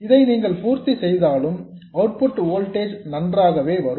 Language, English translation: Tamil, This is as far as the output voltage is concerned